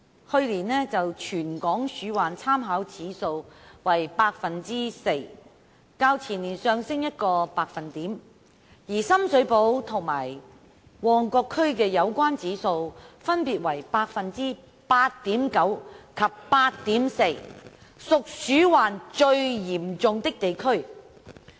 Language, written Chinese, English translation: Cantonese, 去年全港鼠患參考指數為百分之四，較前年上升一個百分點，而深水埗區及旺角區的有關指數分別為百分之 8.9 及 8.4， 屬鼠患最嚴重的地區。, The territory - wide rodent infestation rate RIR for last year was 4 % or a rise of one percentage point from the preceding year with Sham Shui Po District and Mongkok District being the districts most seriously plagued by rodent infestation